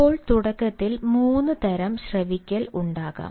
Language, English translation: Malayalam, now, initially, there can be three types of listening